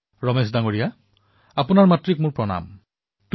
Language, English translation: Assamese, " Ramesh ji , respectful greetings to your mother